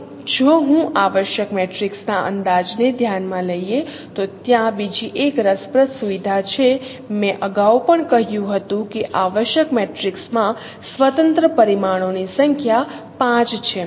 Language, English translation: Gujarati, Now if I consider the estimation of essential matrix there is another interesting feature I initially I told earlier also that number of independent parameters in essential matrix is 5